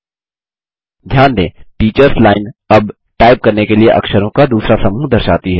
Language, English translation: Hindi, Notice, that the Teachers Line now displays the next set of characters to type